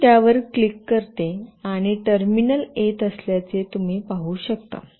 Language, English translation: Marathi, I will just click on that and you can see a terminal is coming